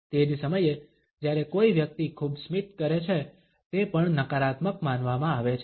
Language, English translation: Gujarati, At the same time when a person smiles too much, it also is considered to be negative